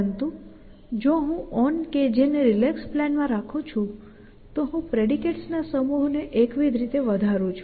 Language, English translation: Gujarati, But if I am living on K J relax plan then I monotonically increasing the set of predicates